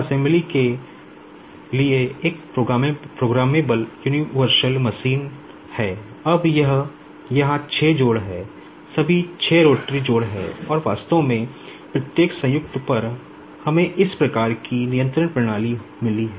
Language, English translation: Hindi, Now, here there are 6 joints all 6 are rotary joints and at each of the joint actually we have got this type of the control system